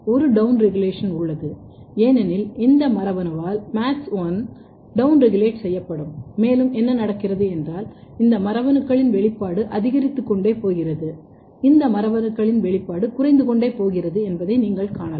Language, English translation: Tamil, There is a down regulation because MADS1 will be down regulated by this gene and you can see what happens that these genes the expression is going up and this gene expression is going down